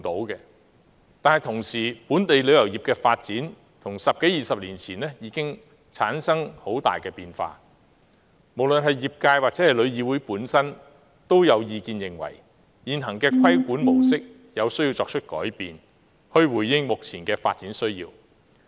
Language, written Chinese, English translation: Cantonese, 然而，由於本地旅遊業的發展與十多二十年前已產生了很大的變化，所以無論是業界或旅議會本身也有意見認為，現行的規管模式有需要作出改變，以回應目前的發展需要。, However since there have been significant changes in the development of the travel industry in Hong Kong over the past two decades there are views from the industry and TIC that the existing regulatory model needs to change in response to the current need for development